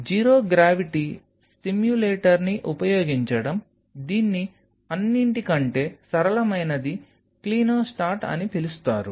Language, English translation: Telugu, Using zero gravity simulator, which the simplest of all is called a Clinostat